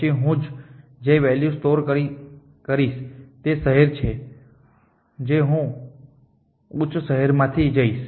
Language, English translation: Gujarati, Then the value that I will tell is the city that I will go to from higher cities